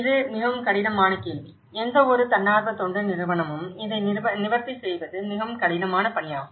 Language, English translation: Tamil, This is very difficult question; this is very difficult task for any NGO to address it